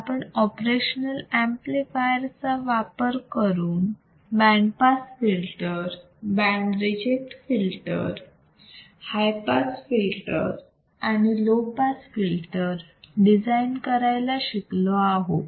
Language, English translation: Marathi, So, now what we see is using the operational amplifier we can design a band pass filter, we can design a band reject filter, we can design high pass filter, we can design a low pass filter